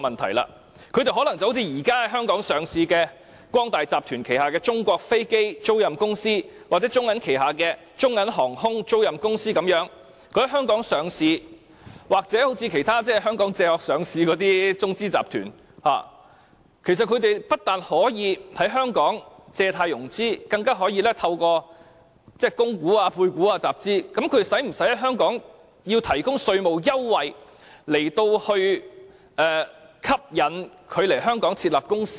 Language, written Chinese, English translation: Cantonese, 他們可能像現時在香港上市的中國光大集團旗下的中國飛機租賃集團控股有限公司，或中國銀行旗下的中銀航空租賃有限公司，在香港上市或好像其他在香港"借殼"上市的中資集團，不單可以在香港借貸融資，更可以透過供股、配股集資，我們是否需要提供稅務優惠來吸引他們來港設立公司呢？, These lessors may seek listing in Hong Kong in a way similar to these two public companies China Aircraft Leasing Group Holdings Limited a China Everbright Limited subsidiary and BOC Aviation Limited under the Bank of China Group . Alternatively they may seek backdoor listing in Hong Kong like some Chinese - financed groups . In Hong Kong these companies not only can seek loans and finances but also can raise funds with rights issues or placements